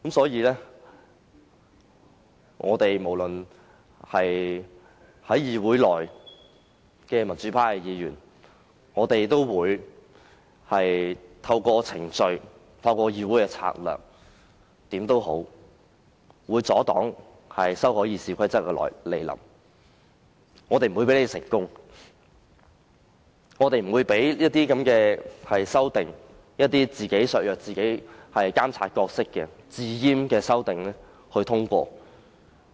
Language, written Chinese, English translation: Cantonese, 因此，議會內的民主派議員無論如何也會透過程序或其他策略，阻擋修訂《議事規則》，不會讓建制派成功，不會讓那些"自閹"削弱自己的監察角色的修訂獲得通過。, Likewise pro - democracy Members of this Council will also try to resist any amendment to RoP by making use of all possible procedures or strategies . We will neither allow the pro - establishment camp to succeed nor allow amendments seeking to weaken our monitoring role by self - castration to get through